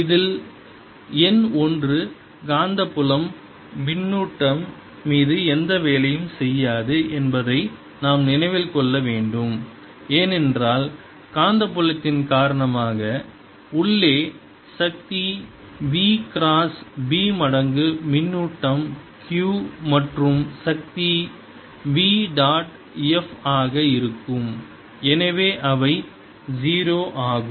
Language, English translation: Tamil, in this we must keep in mind that number one, magnetic field, does no work on charges, because the force due to magnetic field is v cross b times the charge q and the power, which is v dot f, therefore, is zero